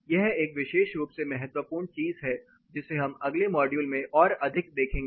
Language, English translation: Hindi, This is a particularly important thing we are going to look at this further more in the next modules